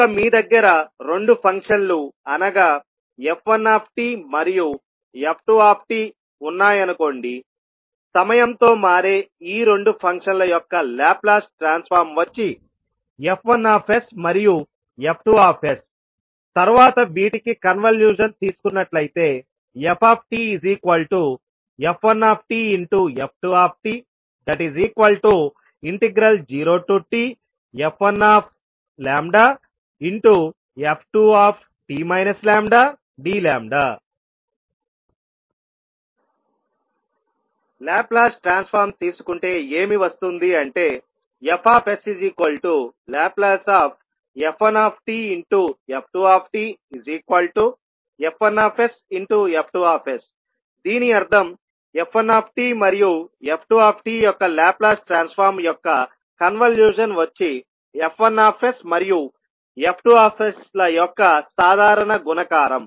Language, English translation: Telugu, So suppose if you have two functions like f1 and f2, the Laplace transform of those two time varying functions are f1s and f2s , then if you take the convolution of f1 and f2 then you will say that the output of the convolution of f1 and f2 and when you take the Laplace of the convolution of the f1 and the f2, you will simply say that the Laplace of the convolution of f1 and f2 would be nothing but f1s multiplied by f2s